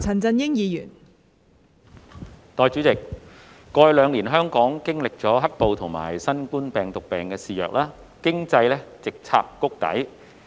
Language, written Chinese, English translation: Cantonese, 代理主席，過去兩年，香港經歷"黑暴"及新冠病毒病肆虐，經濟直插谷底。, Deputy President Hong Kong has experienced the black - clad violence and the raging novel coronavirus epidemic over the past two years with its economy plunged straight to rock bottom